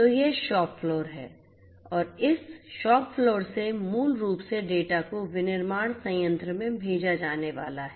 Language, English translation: Hindi, So, this is the shop floor and from this shop floor basically the data are going to be sent to the manufacturing plant